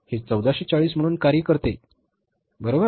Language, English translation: Marathi, This cost is going to be 1440